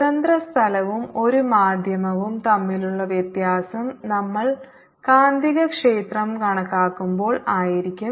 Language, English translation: Malayalam, the difference between free space and a medium would be when we calculate the magnetic field